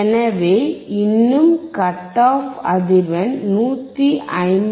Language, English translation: Tamil, So, still the cut off frequency is 159